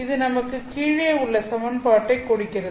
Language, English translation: Tamil, So, this is all the equation that is there